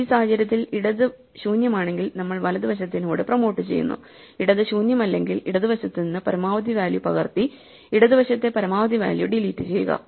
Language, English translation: Malayalam, So, actually in this case if the left is empty then we just promote the right and if it is left is not empty then we will copy the maximum value from the left and delete the maximum value on the left